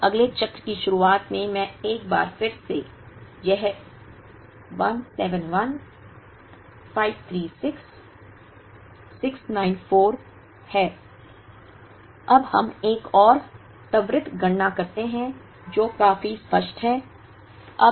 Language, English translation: Hindi, Now, once again back to the beginning of the next cycle, it is 171 536 694, now let us do another quick calculation, which is fairly obvious